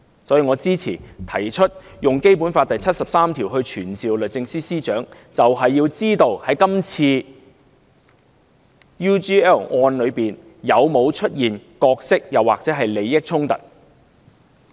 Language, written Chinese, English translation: Cantonese, 所以，我支持提出根據《基本法》第七十三條傳召律政司司長，便是要知道在這次關於 UGL 的案件中，有否出現角色或利益衝突。, Therefore I support summoning the Secretary for Justice under Article 73 of the Basic Law in order to find out if there is any conflict of role or interests in the UGL case in question